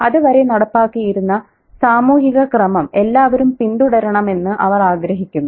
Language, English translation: Malayalam, They want everybody to follow the social order that's been put in place